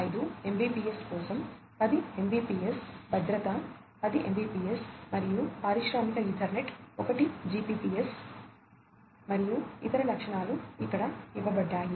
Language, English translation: Telugu, 5 Mbps for CC link LT, safety is 10 Mbps and industrial Ethernet is 1Gbps, and the other features are listed over here